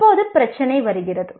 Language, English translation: Tamil, Now the issue comes